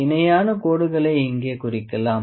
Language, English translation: Tamil, So, we can mark the parallel lines here